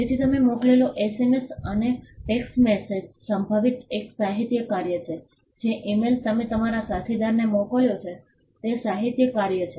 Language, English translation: Gujarati, So, an SMS or a text message that you sent is potentially a literary work an email you sent to your colleague is a literary work